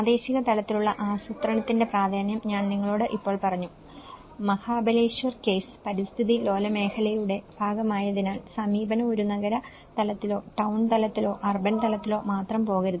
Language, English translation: Malayalam, The importance of regional level planning, I just said to you now, the Mahabaleshwar case, being a part of the eco sensitive zone, the approach has to not go only that a city level or a town level or urban level